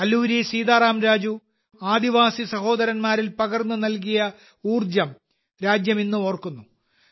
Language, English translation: Malayalam, The country still remembers the spirit that Alluri Sitaram Raju instilled in the tribal brothers and sisters